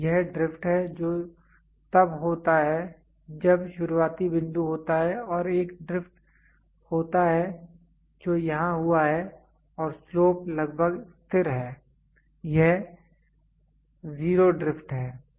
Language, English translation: Hindi, So, this is drift which happens when starting point is there and there is a drift which has happened here and almost the slope is almost constant, this is zero drift